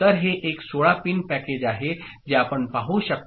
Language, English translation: Marathi, So, this is a 16 pin package you can see – right